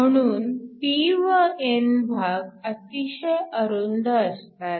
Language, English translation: Marathi, So, p and n are typically thin